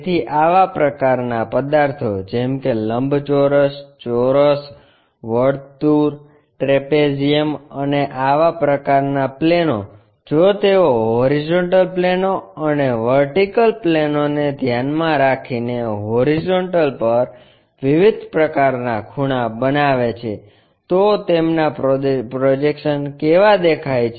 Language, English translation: Gujarati, So, such kind of objects for example, like rectangle, square, circle, trapezium and such kind of planes if they are making different kind of angles on horizontal with respect to the horizontal planes and vertical planes how do their projections really look like